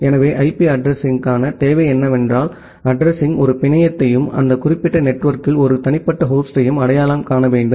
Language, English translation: Tamil, So, as you are mentioning that the requirement for IP addressing is that the address should identify a network as well as an unique host inside that particular network